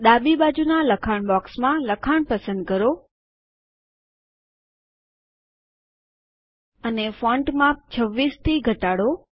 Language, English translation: Gujarati, Select the text in the left side text box and reduce the font size to 26